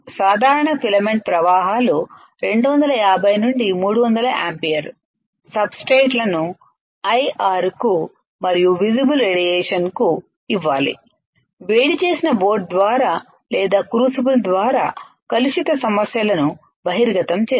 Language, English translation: Telugu, Typical filament the currents are about 250 to 300 ampere exposes substrates to IR and visible radiation, contamination issues through heated boat or crucible